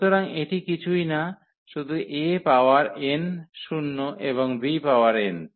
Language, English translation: Bengali, So, this will be nothing, but the a power n zero and b power n